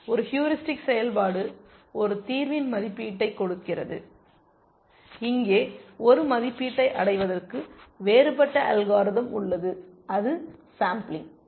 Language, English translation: Tamil, A heuristic function also gives an estimate of a solution, but here we have a different mechanism to arrive at an estimate is that is by sampling